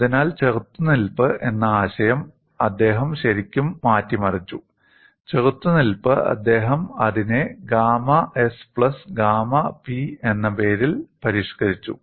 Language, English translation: Malayalam, So, he has really tweaked the concept of resistance; a resistance he had simply modified it as gamma s plus gamma p